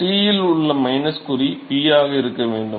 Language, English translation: Tamil, minus sign into T that should be a P right